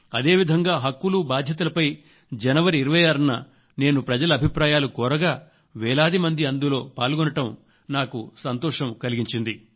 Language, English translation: Telugu, In the same way I asked for views on 'Duties and Rights' on January 26 and I am happy that thousands of people participated in it